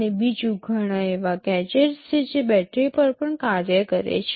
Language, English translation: Gujarati, And secondly, there are many gadgets which also operate on battery